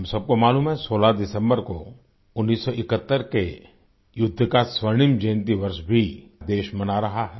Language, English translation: Hindi, All of us know that on the 16th of December, the country is also celebrating the golden jubilee of the 1971 War